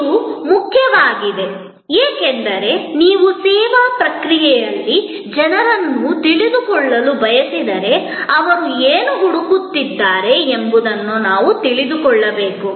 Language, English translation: Kannada, This is important because, if you want to know people in the service process, then we have to know, what they are looking for